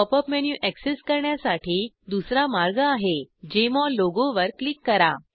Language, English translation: Marathi, The second way to access the Pop up menu is to click on the Jmol logo